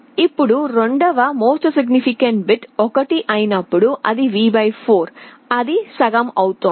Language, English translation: Telugu, Now when the second MSB is 1, it is V / 4; it is becoming half